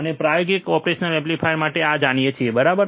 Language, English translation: Gujarati, We have we know this for the practical operation amplifiers, right